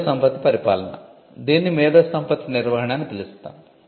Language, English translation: Telugu, IP administration: what we call IP management